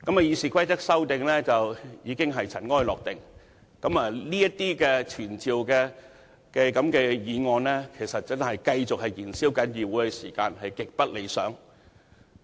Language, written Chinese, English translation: Cantonese, 《議事規則》的修訂已經塵埃落定，這等傳召官員的議案只是繼續燃燒議會的時間，極不理想。, Now that the amendments to the Rules of Procedure have been passed and confirmed these motions on summoning government officials will merely consume our time . It is extremely undesirable